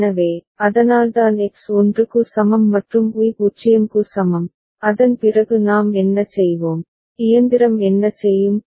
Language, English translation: Tamil, So, that is why X is equal to 1 and Y is equal to 0 and after that what we will do, what will the machine do